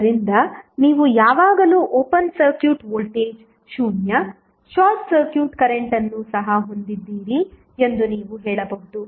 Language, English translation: Kannada, So, what you can say that you always have open circuit voltage 0, short circuit current also 0